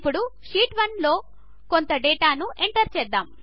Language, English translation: Telugu, Now lets enter some data in Sheet 1